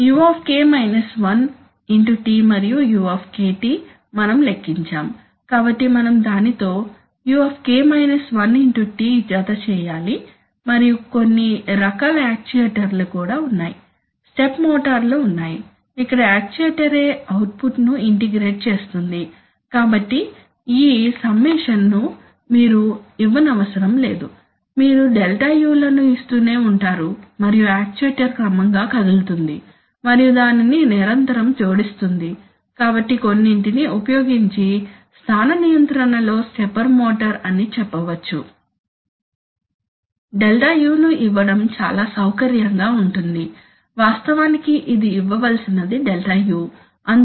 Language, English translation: Telugu, u(T) and Δu, we have computed, so we have to simply add (uT) with that and there are also some kinds of actuators, where let us say, like you know, step motors where the actuator itself integrates the output, so this summation, you need not you need not give, you just give keep on giving the Δu’s and the actuator will gradually move and will continuously add it, so in a let us say now in a position control using some, let us say stepper motor, it is very convenient to give the Δu’s, in fact it is a Δu’s which have to be given